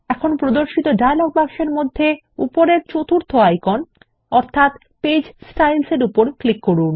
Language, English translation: Bengali, Now in the dialog box which appears, click on the 4th icon at the top, which is Page Styles